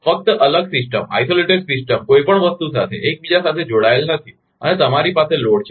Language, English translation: Gujarati, Just isolated system not interconnected with anything and you have the load